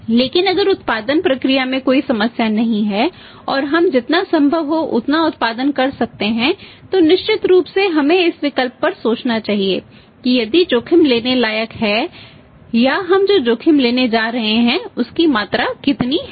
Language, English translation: Hindi, But if there is no problem in the production process and we can produce as much as possible then certainly we should rate this option that if the risk is wroth taking or the quantum of the risk we are going to take